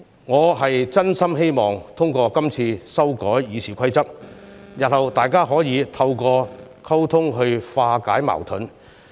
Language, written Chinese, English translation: Cantonese, 我真心希望通過今次修改《議事規則》，日後大家可以透過溝通化解矛盾。, We genuinely hope that by amending the Rules of Procedure this time around we can resolve all contradictions in future through communication